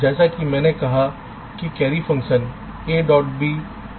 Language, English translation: Hindi, so i said the carry function is a, b or a, c or b c